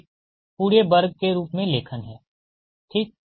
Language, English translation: Hindi, so writing as a whole: square right